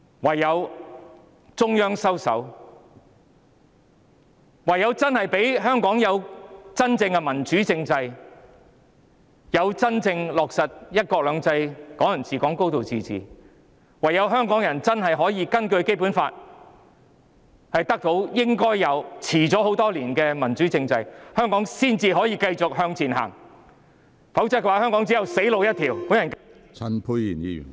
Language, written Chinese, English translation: Cantonese, 唯有中央收手；唯有給予香港真正的民主政制，真正落實"一國兩制"、"港人治港"、"高度自治"；唯有香港人真的可以根據《基本法》得到他們應有、並已延遲多年的民主政制，香港才能繼續向前走，否則香港只有"死路一條"。, It is only when the Central Authorities step back only when Hong Kong is given a truly democratic constitutional system with genuine implementation of one country two systems Hong Kong people ruling Hong Kong and a high degree of autonomy and only when Hongkongers can really have a democratic constitutional regime to which they are entitled according to the Basic Law and which has been delayed for years that Hong Kong can move on . Otherwise Hong Kong will see no way out but a dead end